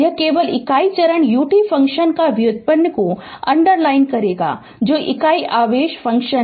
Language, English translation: Hindi, So, the derivative of the; it is underlined only the derivative of the unit step function u t is the unit impulse function